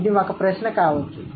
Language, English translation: Telugu, That's one question